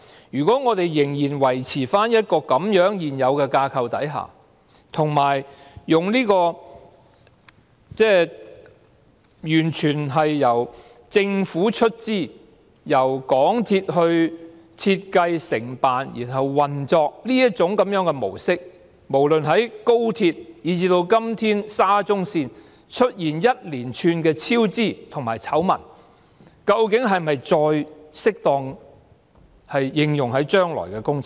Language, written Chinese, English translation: Cantonese, 如果我們仍然維持現有的架構，以及完全由政府出資，由港鐵公司設計、承辦和運作的模式，在無論是高鐵，以至現時的沙中線也出現一連串超支和醜聞的情況下，這架構和模式究竟是否再適用於將來的工程？, If we were to maintain the existing framework as well as the pattern of funding a railway fully by the Government and having MTRCL to design and operate it on contract given the series of cost overruns and scandals in both the Express Rail Link and the SCL projects which is now under discussion are such framework and pattern still suitable for future projects?